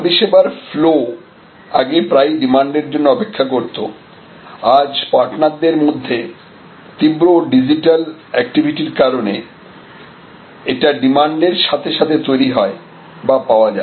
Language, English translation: Bengali, Flow of service was earlier often waiting for demand, now because of these intense digital activity among the players this is also often available activated upon demand